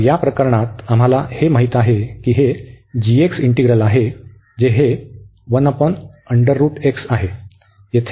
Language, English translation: Marathi, Now, we will discuss only this integral here